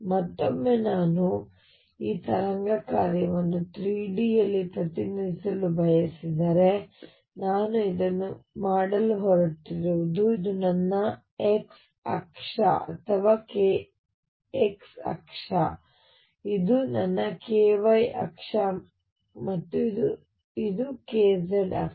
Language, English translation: Kannada, Again if I want to now represent this wave function in 3 d this is what I am going to do this is my x axis or k x axis, this is my k y axis and this is my k z axis